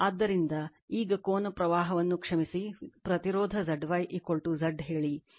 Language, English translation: Kannada, So, now angle the current sorry the impedance Z y is equal to Z theta say